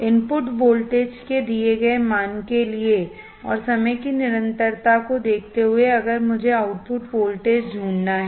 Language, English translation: Hindi, For a given value of input voltage and given value of time constant, if I have to find the output voltage